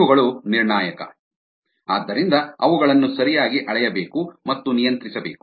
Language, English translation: Kannada, these are crucial and so they need to be properly measured and controlled